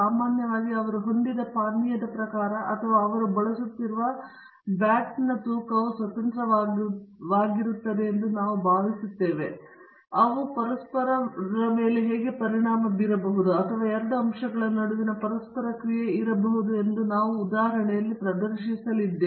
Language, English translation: Kannada, Normally, we will think that the type of drink he has had or the weight of the bat he is using will be independent, but it may so happen that they may affect one another or there may be an interaction between the two factors that is what we are going to demonstrate in this example